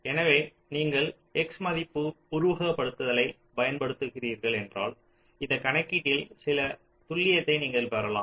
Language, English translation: Tamil, so if you are using x value simulation, you can get some accuracy in this calculation, right